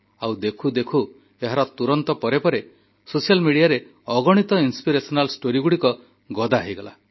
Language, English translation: Odia, And within no time, there followed a slew of innumerable inspirational stories on social media